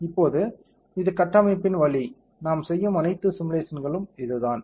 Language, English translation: Tamil, Now, this is the pain of the structure, this is there all the simulation everything we will be doing